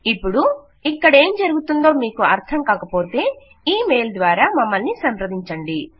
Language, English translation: Telugu, Now if you dont understand what is going on please feel free to contact us via e mail